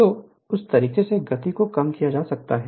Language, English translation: Hindi, So, in that way speed can be reduced right